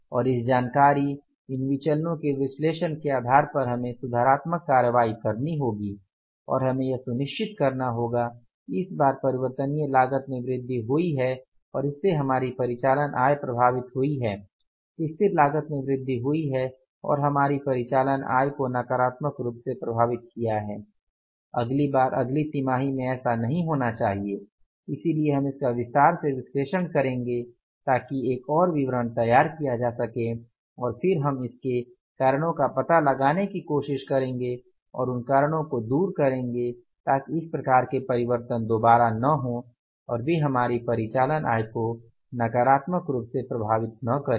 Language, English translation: Hindi, We will have to find out now the detailed analysis of this column we have to do and we have to further dissect these variances that why this negative variance is in the variable cost have occurred, why there are the negative variances in the fixed cost have means why the fixed cost has gone up, why the variable cost has gone up, why the negative variances are in the variable cost, why the negative variances are in the fixed cost and we will have to go for the further analysis of this column and on the basis of this information analysis of these variances we will have to take the corrective actions and we will have to make sure that this time the variable cost has increased and affected our operating income, fixed cost has increased, affected our operating income negatively, this should not happen in the next quarter next time